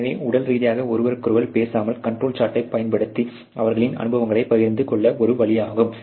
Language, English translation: Tamil, So, without physically talking to each other, there is a way to sort of share their experiences using the control chart